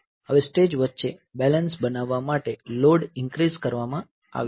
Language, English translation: Gujarati, Now the load has been increased to make the balancing between the stages